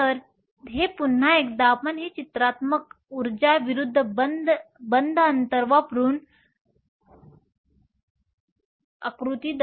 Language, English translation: Marathi, So, this once again we can show this pictorially using the energy verses the bond distance diagram